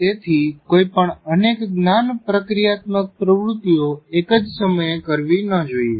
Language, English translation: Gujarati, So one should not perform multiple tasks at the same time